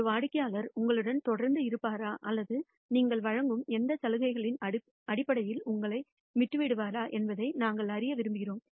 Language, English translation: Tamil, We want to know whether a customer will continue to remain with you or will leave you for another vendor, based on whatever offers that you are making